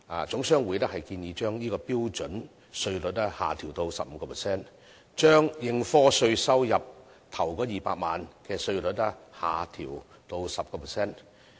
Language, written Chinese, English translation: Cantonese, 總商會也建議把這方面的標準稅率下調至 15%， 把應課稅收入首200萬元的稅率下調至 10%。, HKGCC also proposes to reduce the standard tax rate concerned to 15 % and reduce the tax rate for the first 2 million of the taxable profit to 10 %